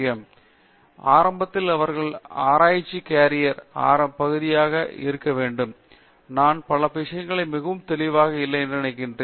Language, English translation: Tamil, Now, when they get on to it early to the especially to be early part of their research carrier, I think many things are not very clear